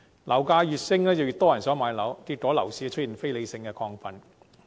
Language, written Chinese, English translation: Cantonese, 樓價越升，越多人想買樓，結果樓市出現非理性亢奮。, As property prices keep rising more and more people want to buy properties